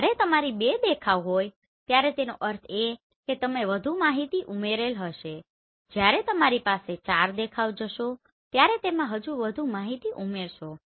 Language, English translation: Gujarati, When you are having 2 look that means you are going to add more information when you are having 4 look it will have further more information